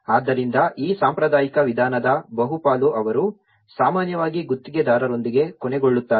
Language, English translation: Kannada, So, that is where much of this traditional approach they often end up with a contractor